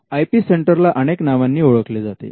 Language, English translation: Marathi, Now, the IP centre is known by many names